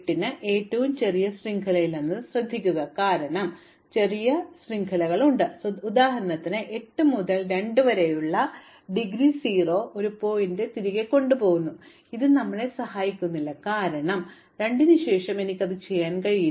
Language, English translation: Malayalam, Notice that it is not the shortest chain, because there are shorter chains for example, 8 to 2 takes back to a vertex which has indegree 0, but this does not help us because after 2 I cannot do 8